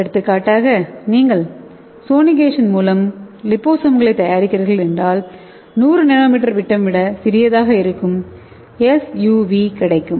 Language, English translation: Tamil, For example if you are preparing a by sonication method you will get SUV that is smaller than 100 nm diameter liposomes